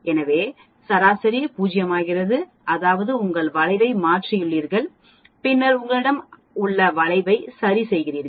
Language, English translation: Tamil, So mean becomes 0 that means, you have shifted your curve and then you have adjusted your curve